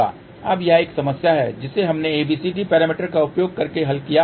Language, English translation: Hindi, Now, this is problem which we solved using ABCD parameter